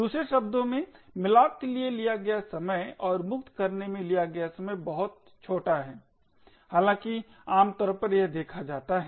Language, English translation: Hindi, In other words the time taken for malloc and the time taken for free is extremely small however it is generally what is seen